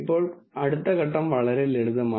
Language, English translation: Malayalam, Now the next step is very simple